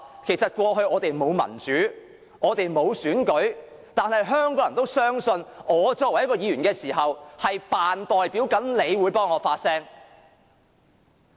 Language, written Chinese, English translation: Cantonese, 其實過去我們沒有民主、沒有真正的選舉，但是，香港人仍然相信，我作為議員，會擔當他們的代表，為他們發聲。, As a matter of fact in the past we had neither democracy nor genuine elections but the people of Hong Kong still believed that being a Member I would serve as their representative and speak for them